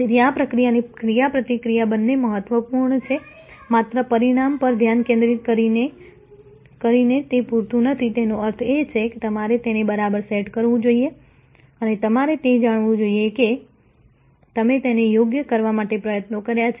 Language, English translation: Gujarati, So, this procedure interaction are both important just by focusing on outcome is not enough; that means, you must set it right and you must make it known that you have put in effort to set it right